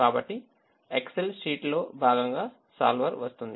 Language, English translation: Telugu, so the solver comes as part of the excel sheet